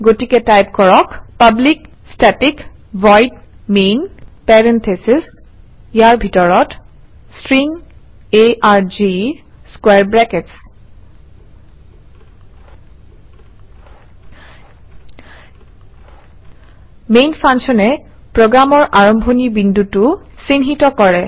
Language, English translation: Assamese, So type: public static void main parentheses inside parentheses String arg Square brackets Main functions marks the starting point of the program